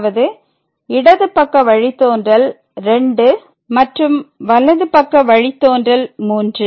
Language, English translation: Tamil, So, in this case the left derivative is 2 and the right derivative is minus 1